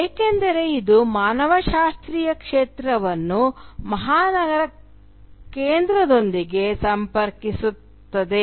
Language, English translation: Kannada, Because it will connect the anthropological field with the metropolitan centre